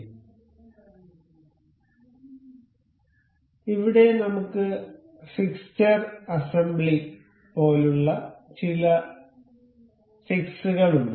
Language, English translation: Malayalam, So, here we have some random fix say fixture assembly